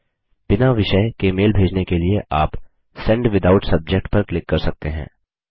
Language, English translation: Hindi, To send the mail without a Subject Line, you can click on Send Without Subject